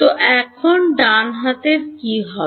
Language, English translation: Bengali, So, now, what happens to the right hand side